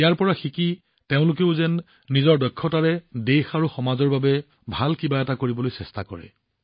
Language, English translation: Assamese, Learning from this, they also try to do something better for the country and society with their skills